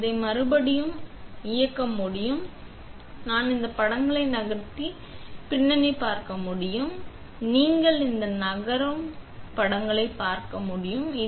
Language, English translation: Tamil, I can turn this and you can see the background these images moving and you can see this moving